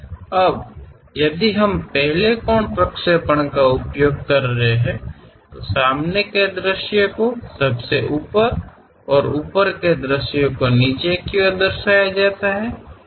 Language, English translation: Hindi, Now, if we are using first angle projection; your front view at top and top view at bottom